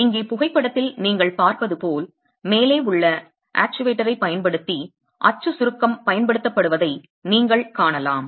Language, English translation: Tamil, So, as you see in the photograph here, you can see that axial compression is being applied using the actuator at the top